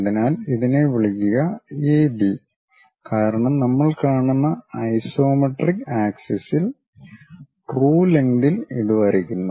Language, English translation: Malayalam, So, call this one A B because we are drawing it on isometric axis true lengths we will see